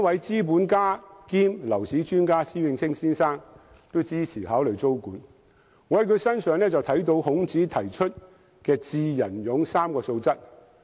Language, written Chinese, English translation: Cantonese, 資本家兼樓市專家施永青先生都支持考慮租管，我在他身上看到孔子提出的"智、仁、勇 "3 種素質。, Tenancy control is also supported by Mr SHIH Wing - ching a capitalist and property market expert . I see in him the three virtues of being wise benevolent and courageous as advocated by Confucius